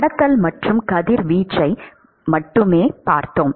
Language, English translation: Tamil, We looked at only conduction and radiation